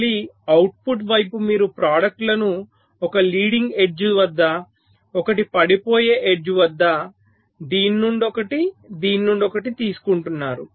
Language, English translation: Telugu, so again in the output side you are taking out the products, one at the leading age, one at the falling age, one from this, one from this